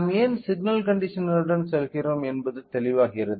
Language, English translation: Tamil, So, it is clear why we are going with signal conditioner